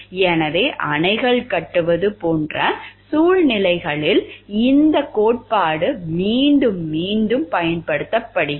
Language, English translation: Tamil, So, this theory has been used time and again while like in situations like building dams